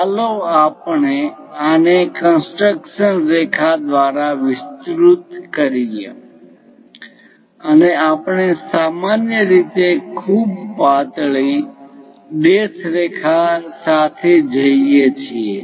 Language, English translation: Gujarati, Let us extend this one by construction lines, we usually we go with very thin dashed lines